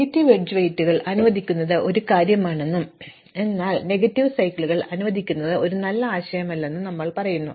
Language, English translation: Malayalam, We also said that allowing negative edge weights is one thing, but allowing negative cycles is not a good idea